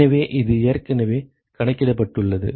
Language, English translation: Tamil, So, that is already accounted for